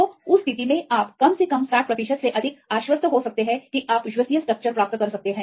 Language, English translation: Hindi, So, in that case you can get at least more than 60 percent confident that you can get the reliable structure